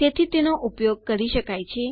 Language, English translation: Gujarati, so it can be used